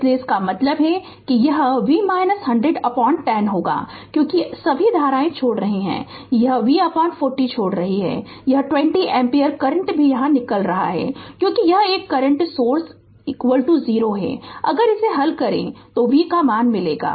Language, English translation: Hindi, So; that means, it will be V minus 100 by 10 because all currents are leaving this is leaving plus V by 40 plus this 20 ampere current is also leaving because this is a current source right is equal to 0 if you solve this you will get the value of V right